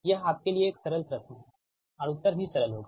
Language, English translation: Hindi, this is a simple question to you and answer also will be simple